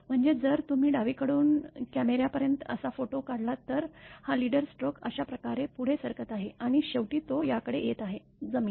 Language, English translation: Marathi, I mean if you take the photograph like that from left to by camera, this leader stroke it is moving like this and finally, it is coming to this one; ground